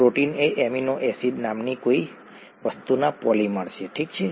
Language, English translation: Gujarati, Proteins are polymers of something called amino acids, okay